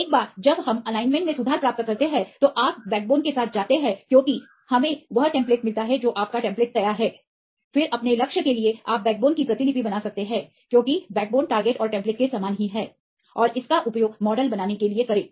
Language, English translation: Hindi, Once we get the alignment correction, then you go with backbone generation because we get the template your template is ready, then for your target you can just copy the backbone because the backbone is same right the target and the template, and use this as your to build a model